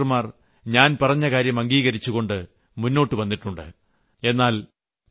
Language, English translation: Malayalam, There are thousands of doctors who have implemented what I said